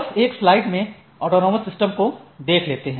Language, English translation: Hindi, So, just a quick slide that is a autonomous system